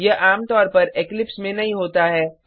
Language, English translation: Hindi, It does not happens usually on Eclipse